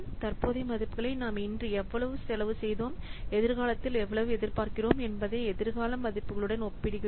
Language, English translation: Tamil, So, we compare the present values to the future values, how much we have spent today and how much we are expecting in future